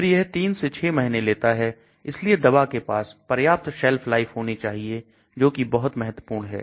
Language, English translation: Hindi, So it may take 3 months, 6 months, so the drug should have enough Shelf life that is very important